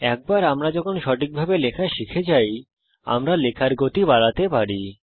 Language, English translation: Bengali, Once, we learn to type accurately, without mistakes, we can increase the typing speed